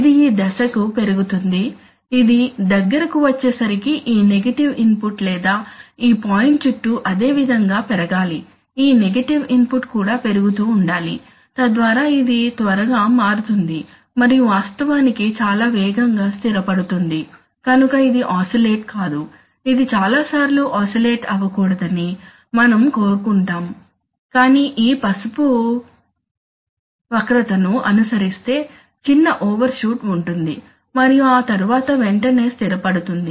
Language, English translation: Telugu, Which will grow towards this point, as it comes closer it should this negative input or increase similarly around this point this negative input should also, this negative input should also keep increasing, so that it quickly turns and then actually it will settle very fast, so you see, it will not oscillate, if you, we want that it does not oscillate, so, many times but rather follows this yellow curve maybe does a small overshoot and then immediately settles down